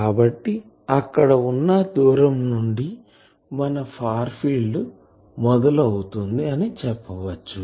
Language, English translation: Telugu, So, at that distance we can say that the far field has been started